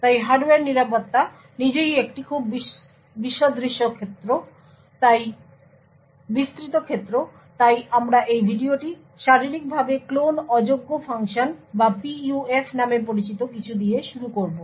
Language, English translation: Bengali, So, the Hardware Security itself is a very broad field, So, we will be starting this video with a something known as Physically Unclonable Functions or PUFs